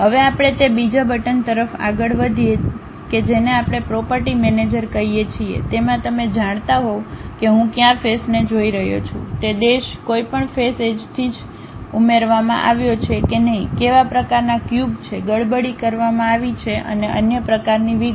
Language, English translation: Gujarati, Now, let us move on to that second button that is what we call property manager In that you will be in a position to know which face I am really looking at, whether that face is added by any edge or not, what kind of solids are have been meshed and other kind of details